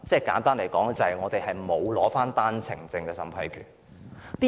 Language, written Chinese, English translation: Cantonese, 簡單而言，是因為香港沒有單程證審批權。, Simply put the reason is that Hong Kong is not vested with the authority to vet and approve one - way permits